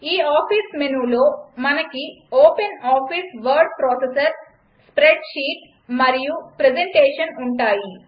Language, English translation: Telugu, Then further in this office menu we have openoffice word processor, spreadsheet and presentation